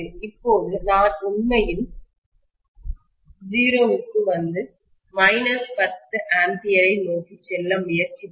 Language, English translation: Tamil, Now, if I actually try to come to 0 and go towards minus 10 ampere, right